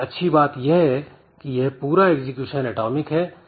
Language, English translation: Hindi, But the good thing is that this whole thing is atomic in nature